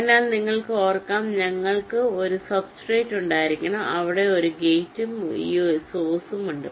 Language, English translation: Malayalam, so you can recall, we need to have a substrate where you have the gate and this source